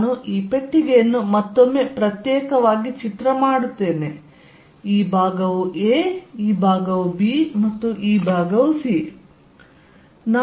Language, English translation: Kannada, Let me make this box separately once more, this is the box for this side being a, this side being b and this side being c